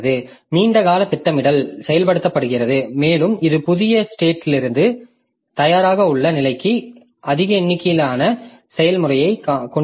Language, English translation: Tamil, The long term scheduler is invoked and it brings more number of processes from the new state to the ready state